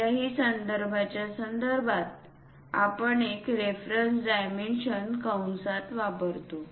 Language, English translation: Marathi, With respect to any reference we use a reference dimensions within parenthesis